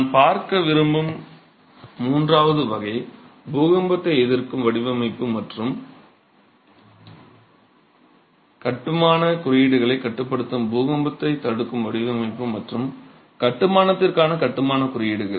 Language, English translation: Tamil, The third category that I would like to look at is earthquake resistant design and construction codes that regulate earthquake resistant design and construction for masonry